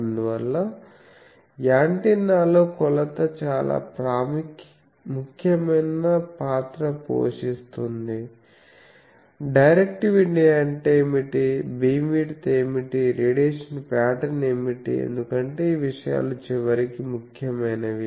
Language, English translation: Telugu, So, that is why measurement plays a very important role in antennas I think that you can always determine those things that what is the directivity, what is the beam width, what is the radiation pattern because these things ultimately matters